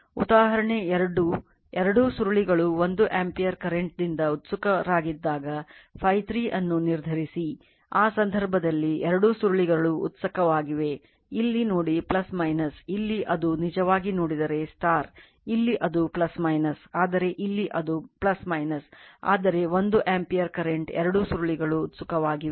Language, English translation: Kannada, Example 2 when both the coils are excited by 1 ampere current; determine phi 3 right so, question is that the both the coils are excited in that case, look here is plus minus here it is actually if you look into that here it is plus minus, but here it is plus minus, but 1 ampere current both the coils are excited